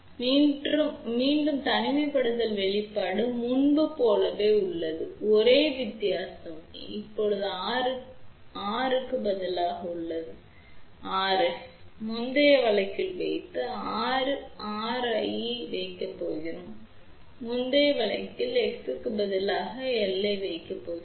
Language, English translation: Tamil, So, again isolation expression is same as before, the only difference is now that instead of R equal to R f put in the earlier case, now we are going to put R equal to R r and instead of X putting in the earlier case as omega L